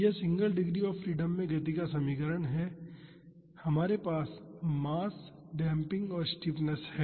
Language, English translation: Hindi, This is the equation of motion of a single degree of freedom system; we have mass damping and stiffness